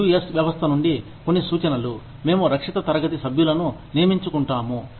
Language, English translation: Telugu, Some suggestions, from the US system are, we recruit, protected class members